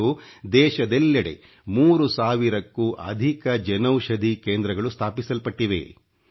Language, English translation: Kannada, Today, over three thousand Jan Aushadhi Kendras have been set up across the country